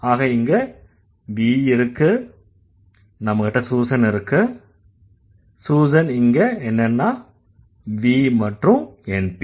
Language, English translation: Tamil, So, here we have V, okay, then we'll have, Susan is what, V and NP, right